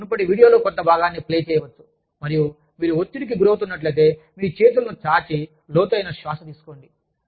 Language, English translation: Telugu, You could play, part of the previous video, and say that, if you are feeling stressed, go stretch out your arms, and take deep breaths